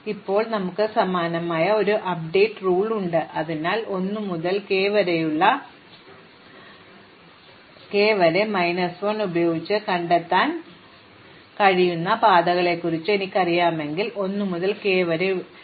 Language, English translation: Malayalam, So, now we have a very similar update rule, so if I know the paths which can be discovered using 1 to k minus 1, what are the paths I can discover using 1 to k